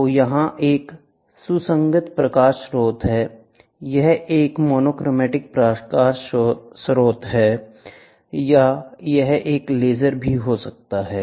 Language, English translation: Hindi, So, here is a coherent light source, this can be a monochromatic light source, or it can even be a laser